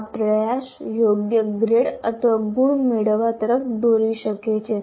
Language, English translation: Gujarati, So this effort will lead to getting the appropriate grade or marks